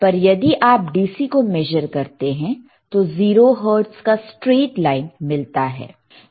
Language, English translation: Hindi, But if you measure DC it will have 0 hertz, straight line